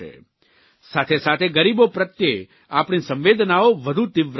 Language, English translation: Gujarati, In addition, our sympathy for the poor should also be far greater